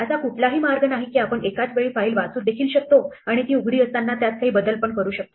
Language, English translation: Marathi, There is no way we can simultaneously read from a file and modify it while it is open